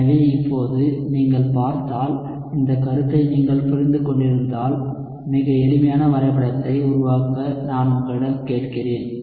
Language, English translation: Tamil, So now if you look at, so if you have understood this concept, I will ask you to just make a very simple plot